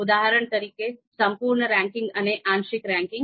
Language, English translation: Gujarati, For example, complete ranking and partial ranking